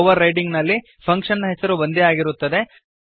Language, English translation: Kannada, In overloading the function name is same